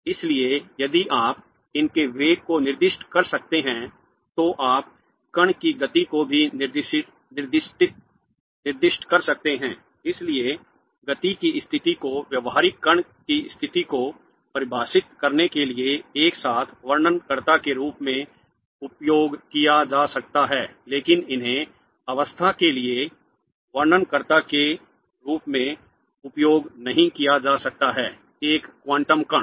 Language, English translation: Hindi, Therefore if you can specify the velocity obviously you can also specify the momentum of the particle Therefore position and momentum can be simultaneously used as descriptors for defining the state of a classical particle but they can't be used as descriptors for the state of a quantum particle